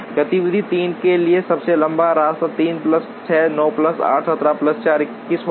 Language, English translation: Hindi, For activity 3 the longest path will be 3 plus 6, 9 plus 8, 17 plus 4, 21